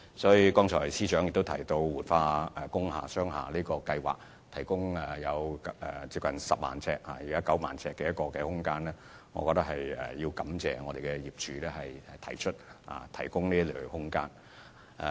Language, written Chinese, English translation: Cantonese, 司長剛才亦提到活化工廈和商廈計劃所提供的約9萬平方呎空間，我也要藉此機會感謝業主提供這些空間。, Just now the Chief Secretary also mentioned the approximately 90 000 sq ft of space provided under the revitalized industrial buildings and commercial buildings schemes . I would like to also take this opportunity to thank the owners concerned for providing the space